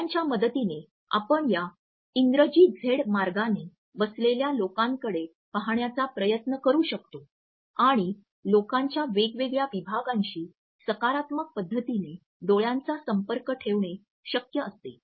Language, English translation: Marathi, With the help of the eyes you try to gaze at the people making a Z and different points of this Z would allow you to maintain a positive eye contact with different sections of the people